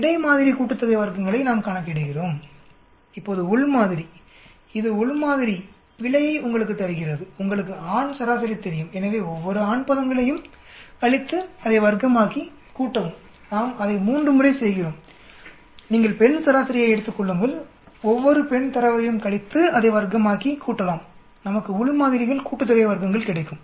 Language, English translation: Tamil, So that is how we calculate between sample sum of squares, now within sample this gives you the error within sample is you know the male average, so subtract each one of the male terms, square it, add it up that is 3 times we do that then you take the female average, subtract each one of the female data, square it up and sum it up, we get within samples sum of squares